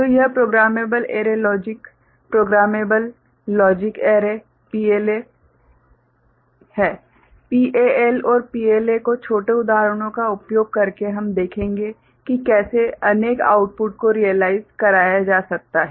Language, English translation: Hindi, So, that is Programmable Array Logic PAL, Programmable Logic Array PLA, we shall see how multiple outputs can be realized using PAL and PLA using small examples